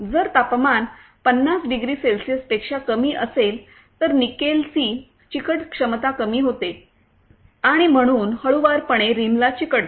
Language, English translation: Marathi, In case when the temperature is lower than 50 degrees Celsius then adhesive capacity of the nickel lowers and hence loosely sticks to the rim